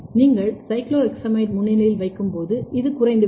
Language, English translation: Tamil, When you put in presence of cyclohexamide, this is going down